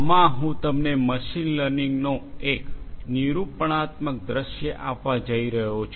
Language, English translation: Gujarati, In this, I am going to give you only an expository view of machine learning